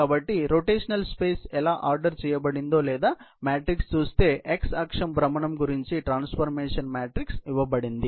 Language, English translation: Telugu, So, if we look at how the rotational space has been ordered or matrix, the transformation matrix has been given about; the x axis rotation is represented here